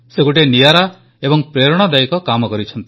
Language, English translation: Odia, He has done an exemplary and an inspiring piece of work